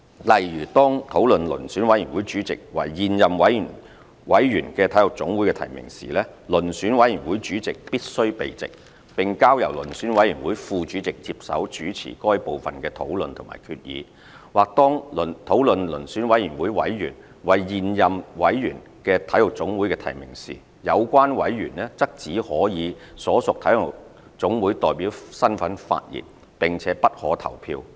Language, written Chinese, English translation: Cantonese, 例如，當討論遴選委員會主席為現任委員的體育總會的提名時，遴選委員會主席必須避席，並交由遴選委員會副主席接手主持該部分的討論和決議；或當討論遴選委員會委員為現任委員的體育總會的提名時，有關委員則只可以所屬體育總會代表身份發言，並且不可投票。, For example if the Selection Committee is to discuss nominations by an NSA of which the Selection Committee Chairman is a committee member the Chairman is required to withdraw from that part of the meeting and the Vice Chairman should be asked to chair the discussion and resolution of the selection; or if the Selection Committee is to discuss nominations by an NSA of which a Selection Committee member is a committee member the member concerned should only take part in the discussion in the capacity of a representative of the NSA and is not allowed to vote